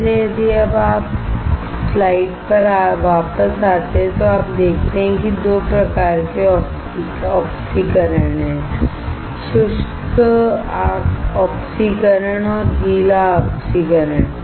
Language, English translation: Hindi, So, if you come back to the slide you see that there are 2 types of oxidation; dry oxidation and wet oxidation